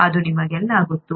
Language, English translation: Kannada, You all know that